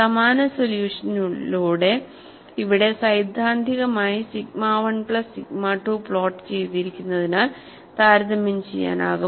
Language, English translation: Malayalam, With the same solution, here theoretically sigma 1 plus sigma 2 is plotted, so that the comparison could be made